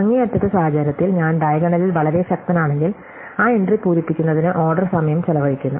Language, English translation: Malayalam, In the extreme case when I am very powerful in the diagonal, I could be spending order n time to fill that entry